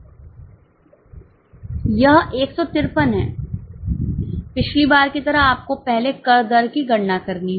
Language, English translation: Hindi, Like last time you will have to calculate the tax rate first